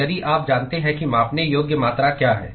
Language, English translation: Hindi, So, if you know what are the measurable quantity